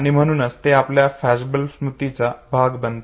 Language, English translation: Marathi, And that is called as flashbulb memory